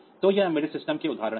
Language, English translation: Hindi, So, that these are the examples of embedded system